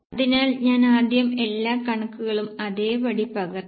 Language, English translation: Malayalam, So, I have just copied first of all the figures as it is